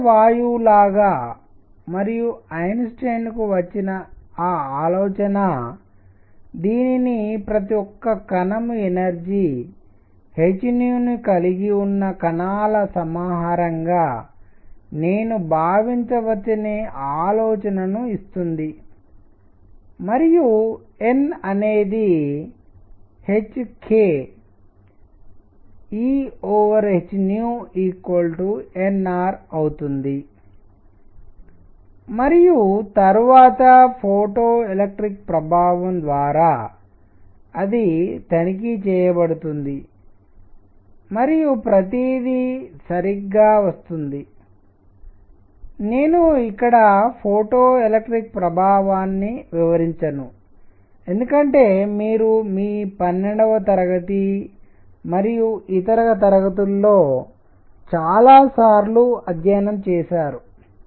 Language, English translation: Telugu, Just like ideal gas and that is what gives Einstein the idea that I can think of this as a collection of particles with each having energy h nu and n becomes n E by h k E by h nu becomes n R and then through photoelectric effect, it is checked and everything comes out to be correct, I am not going to do photoelectric effect here because you studied it many many times in your 12th grade and so on